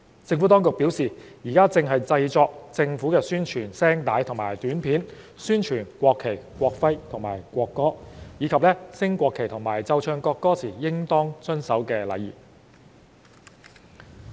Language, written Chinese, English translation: Cantonese, 政府當局表示現正製作政府宣傳聲帶及短片，宣傳國旗、國徽及國歌，以及升國旗和奏唱國歌時應當遵守的禮儀。, The Administration has advised that it is working on Announcements of Public Interests APIs to promote the national flag national emblem and national anthem as well as the etiquette to be observed when the national flag is raised and when the national anthem is performed or played